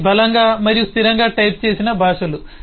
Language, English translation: Telugu, they are strongly and statically typed languages